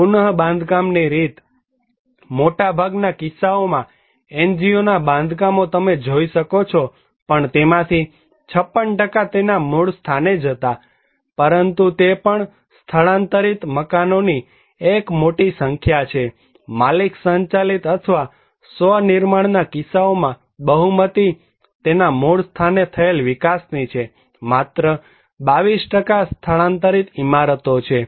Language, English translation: Gujarati, The mode of reconstructions; NGO constructions you can see that even in case of NGO mostly, it was 56% was in situ but is a great number of also relocated house, in case of owner driven or self constructed majority are in situ development, only 22% is relocated buildings